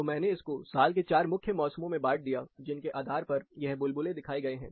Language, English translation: Hindi, So, I divided this into 4 specific seasons in a year, based on which these bubbles are shown here